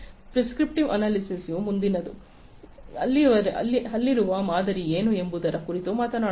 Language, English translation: Kannada, Predictive analytics talks about what is next, what is the pattern that is there